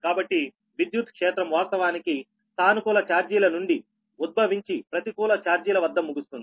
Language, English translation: Telugu, so electric field actually originate from the positive charges and terminate at the negative charges